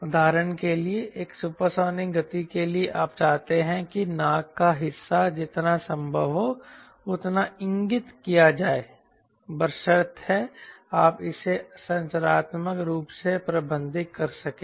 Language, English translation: Hindi, for example, for a supersonic speed you want the nose part to as pointed as possible, provided you can manage it structurally right